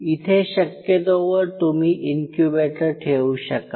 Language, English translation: Marathi, Where you will be placing the incubators possibly